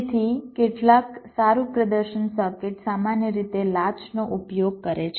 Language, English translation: Gujarati, so some high performance circuits typically use latches